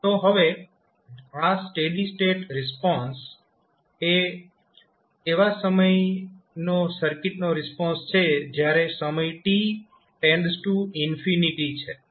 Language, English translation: Gujarati, So, now this steady state response is the response of the circuit at the time when time t tends to infinity